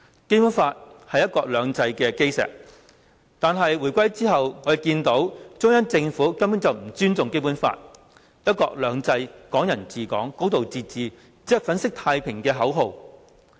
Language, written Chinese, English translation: Cantonese, 《基本法》是"一國兩制"的基石，但回歸之後，我們看到中央政府根本不尊重《基本法》，"一國兩制"、"港人治港"、"高度自治"只是粉飾太平的口號。, The Basic Law is the cornerstone of one country two systems but following the reunification we have witnessed the Central Governments disrespect of the Basic Law; and one country two systems Hong Kong people ruling Hong Kong and a high degree of autonomy have been reduced to slogans to present a false picture of peace and prosperity